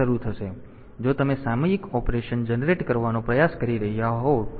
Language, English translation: Gujarati, So, if you are trying to generate a periodic operation